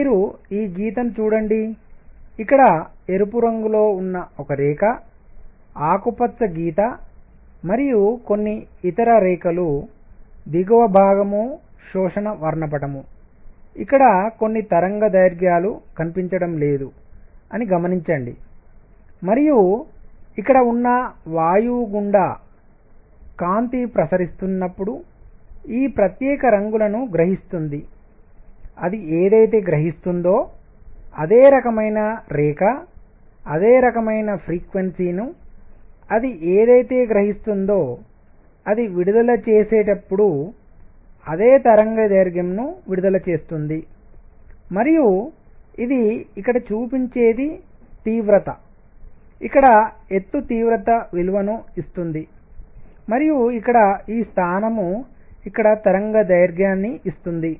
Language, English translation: Telugu, So, you see line; a line at red here, a green line and some other lines, the lower portion is the absorption spectrum where you see that certain wavelengths are missing and this is where the gas when light is passing through it has absorbed these particular colors; whatever it absorbs, the same kind of line same kind of frequency, whatever it absorbs, same wavelength it emits when it is emitting and what this shows here is the intensity, the height here gives intensity and this position here the position here gives wavelength